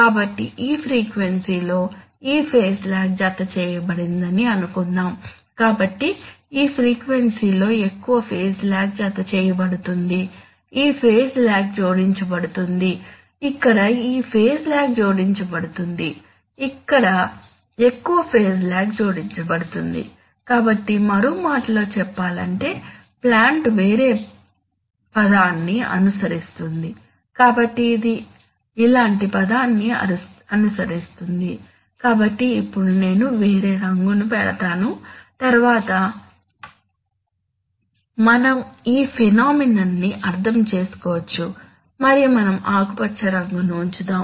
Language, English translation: Telugu, So suppose at this frequency, this much of phase lag is added, so at this frequency which is higher some other phase lag will be added, this phase lag will be added, here this phase lag is added, here more phase lag will be added, so in other words now the plant will follow a different trajectory, so it will follow a trajectory like this, so now let me put a different color so that we can understand this phenomenon we have to put and let us put a green color